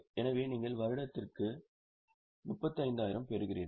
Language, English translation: Tamil, So, you are getting 3,500 per year